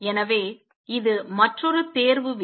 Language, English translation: Tamil, So, this is another selection rule